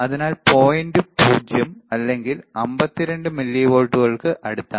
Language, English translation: Malayalam, So, around point 0 or 52 millivolts, right 9